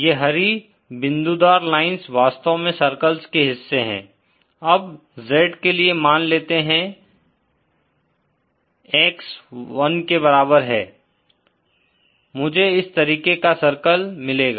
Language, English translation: Hindi, These green dotted lines are actually portions of circles, now for Z for say x is equal to 1, I get a circle like this